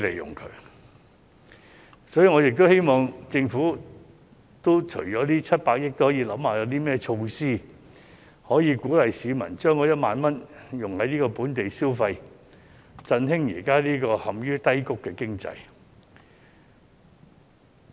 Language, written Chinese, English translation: Cantonese, 因此，我亦希望政府除了是撥出這700億元外，也要考慮有何措施可以鼓勵市民將1萬元花在本地消費上，以振興現時陷於低谷的經濟。, And when considering domestic consumption we must consider how to use the 70 - odd billion well . Therefore I also hope that apart from handing out this 70 billion the Government also has to come up with some measures to encourage local consumption with 10,000 by each citizen with a view to revitalizing the economy which is now in the doldrums